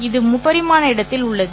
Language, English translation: Tamil, This is in the three dimensional space